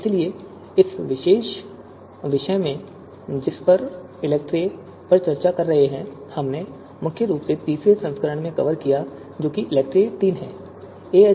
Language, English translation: Hindi, So in this particular you know topic that we are discussing ELECTRE, we are we have mainly covered the third version that is ELECTRE third